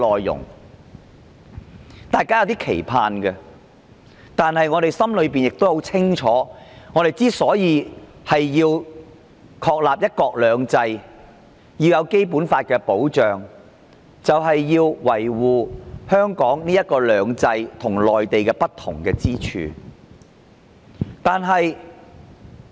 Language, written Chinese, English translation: Cantonese, 然而，我們心裏很清楚，要確立"一國兩制"、要得到《基本法》的保障，就要維護香港"兩制"與內地的不同之處。, Nevertheless we know very well that in order to establish one country two systems and be protected by the Basic Law we must uphold the differences between the two systems of Hong Kong and the Mainland